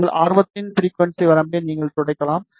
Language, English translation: Tamil, And you can sweep the frequency range of your interest